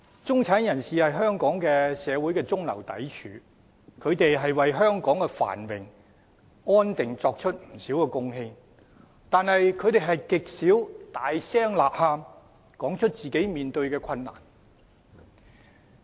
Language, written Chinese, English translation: Cantonese, 中產人士是香港社會的中流砥柱，為香港的繁榮安定作出不少貢獻，但他們極少大聲吶喊，說出自己面對的困難。, The middle - class people are a pillar of Hong Kong society . They have made a lot of contribution to the prosperity and stability of Hong Kong but seldom do they shout in loud voices to draw attention to the difficulties they face